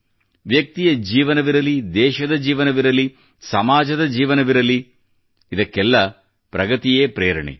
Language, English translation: Kannada, Whether it is the life of a person, life of a nation, or the lifespan of a society, inspiration, is the basis of progress